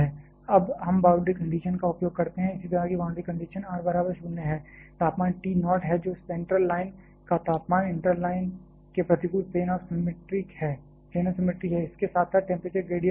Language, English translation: Hindi, Now, we use the boundary conditions ,similar boundary conditions at r equal to 0, the temperature is T naught which is center line temperature against the inter line being plane of symmetry the temperature gradient is 0 as well